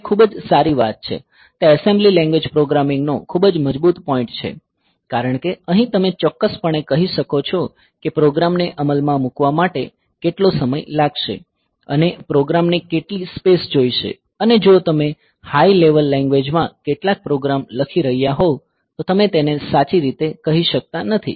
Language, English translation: Gujarati, So, that is a very well; so, that is the very strong point of assembly language programming because here you can you can tell exactly how much time will be needed for executive the program and how much space the program will take whereas, if you are writing some program in high level language; so, it is you cannot tell it correctly